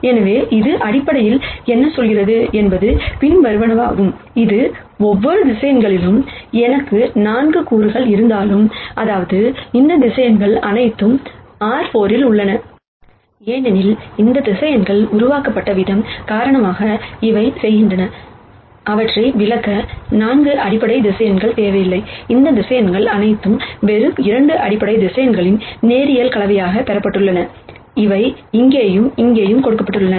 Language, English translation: Tamil, So, what this basically says is the following, it says that, though I have 4 components in each of these vectors, that is, all of these vectors are in R 4, because of the way in which these vectors have been generated, they do not need 4 basis vectors to explain them, all of these vectors have been derived as a linear combination of just 2 basis vectors, which are given here and here